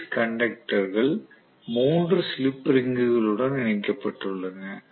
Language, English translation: Tamil, So I have 3 phase conductors being connected to 3 slip rings